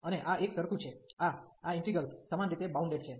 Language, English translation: Gujarati, And this is uniform, these are these integrals are uniformly bounded